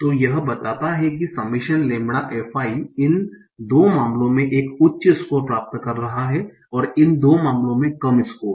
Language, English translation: Hindi, So it tells that the summation lambda FI is getting a higher score in these two cases and lower score in these two cases